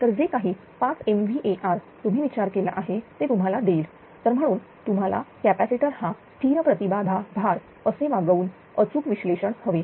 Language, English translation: Marathi, So, whatever whatever 5 mega bar you thought it will give it is not therefore, you need exact analysis by treating the capacitor as a treating the capacitor as a constant impedance load right